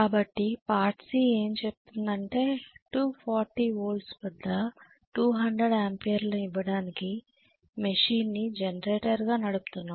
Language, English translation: Telugu, So part C says, if the machine is run as a generator to give 200 amperes at 240 volts